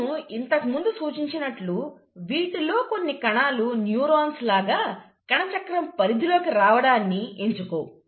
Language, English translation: Telugu, Now, as I mentioned in the beginning, I said some of these cells do not choose to undergo cell cycle like the neurons